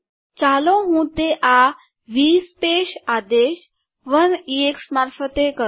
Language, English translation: Gujarati, Let me do that by giving through this v space command 1 ex